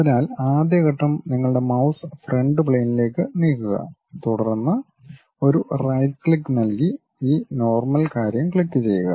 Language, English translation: Malayalam, So, first step is move your mouse onto Front Plane, then give a right click then click this normal thing